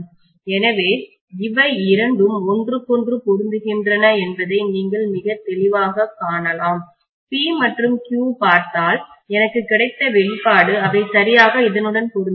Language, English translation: Tamil, So you can see very clearly that these two are matching each other, if I look at P and Q expressions that I have got, they are exactly matching with this